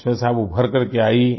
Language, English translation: Hindi, You emerged out of that